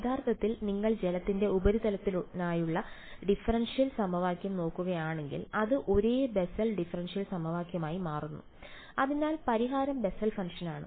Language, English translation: Malayalam, Actually if you look at the differential equation for the water surface it turns out to be the same Bessel differential equation so the solution is Bessel function